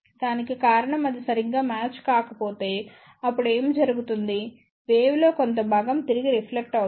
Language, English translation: Telugu, The reason for that is if it is not properly matched, then what will happen part of the wave will get reflected back